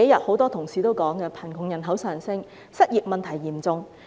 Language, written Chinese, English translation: Cantonese, 很多同事這幾天也提到，貧窮人口上升，失業問題嚴重。, As mentioned by many Honourable colleagues these few days the poor population is increasing . The unemployment problem is serious